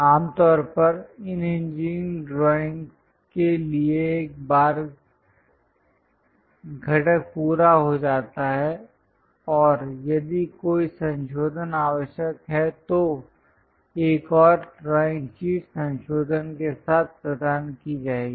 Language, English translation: Hindi, Usually, for these engineering drawings once component is meet and if there is any revision required one more drawing sheet will be provided with the revision